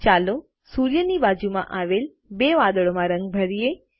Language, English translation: Gujarati, Lets begin by coloring the two clouds next to the sun